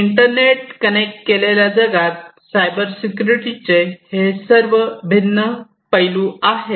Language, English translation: Marathi, These are the different components of Cybersecurity